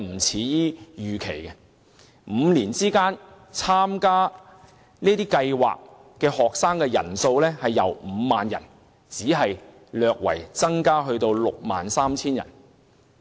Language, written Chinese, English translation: Cantonese, 在這5年間，參加這些交流團的學生人數，只由 50,000 人略增至 63,000 人。, During these five years the actual number of students participating in these exchange tours only increased slightly from 50 000 to 63 000